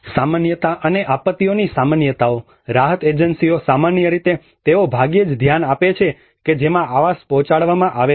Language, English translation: Gujarati, Normality and a normality of disasters: relief agencies normally they rarely pay attention to the way in which housing is delivered